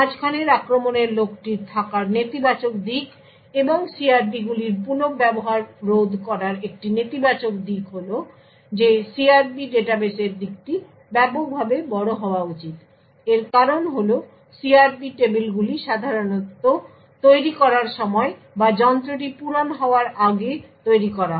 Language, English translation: Bengali, One negative aspect of having the man in the middle attack and actually preventing the reuse of CRPs is the fact that the side of the CRP database should be extensively large, the reason for this is that the CRP tables are generally created at the time of manufactured or before the device is filled